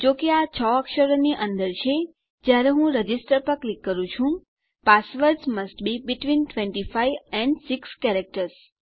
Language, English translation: Gujarati, Since this is under 6 characters, when I click Register Passwords must be between 25 and 6 characters